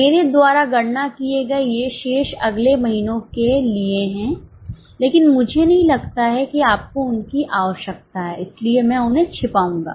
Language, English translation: Hindi, These are the balances for the next ones calculated by me but I don't think you need them so I will hide them